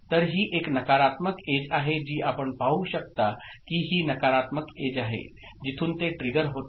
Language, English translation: Marathi, So, it is a negative edge triggered that you can see this is the negative edge, at which it triggers